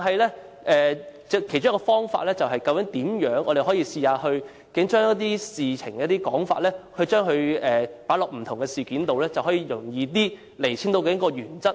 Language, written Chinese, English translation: Cantonese, 然而，其中一個方法是我們可以嘗試把一些事情或說法放在不同事件中，便能較容易釐清原則。, One possible way is to situate a certain issue or an argument in different cases which may help define the principle